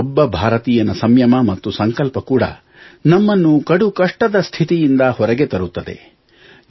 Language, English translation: Kannada, The determination and restraint of each Indian will also aid in facing this crisis